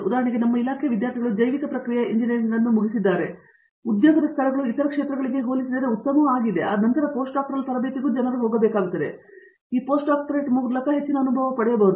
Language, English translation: Kannada, For example, in our department students have finished in bio process engineering, so that job placements are better compare to fields from other areas were people have to go for post doctoral training, get more experienced in this one